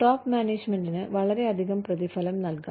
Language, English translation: Malayalam, Top management may be paid, too much